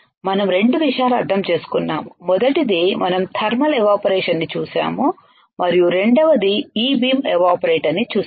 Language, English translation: Telugu, We understood 2 things; first is we have seen thermal evaporator and second is we have seen E beam evaporator